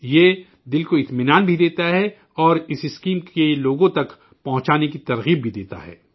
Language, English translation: Urdu, It also gives satisfaction to the mind and gives inspiration too to take that scheme to the people